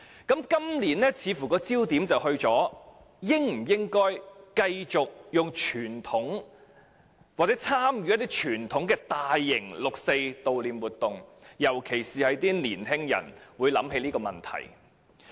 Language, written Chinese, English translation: Cantonese, 今年的焦點似乎放在應否繼續以傳統方式，或參與大型活動悼念六四，尤其是有年青人會提出這項質疑。, The focus this year seems to be placed on whether or not the 4 June incident should continue to be commemorated in the traditional manner or through participation in major events . In particular young people will cast doubts on it